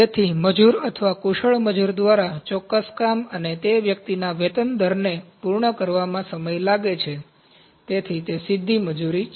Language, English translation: Gujarati, So, it is time taken by the labour or the skilled labour to complete a specific job and the wage rate of that person, so that is direct labour